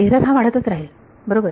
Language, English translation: Marathi, The error will keep increasing right